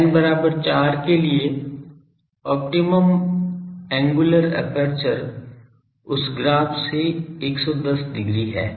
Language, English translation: Hindi, For n is equal to 4, the optimum angular aperture is from that graph 110 degree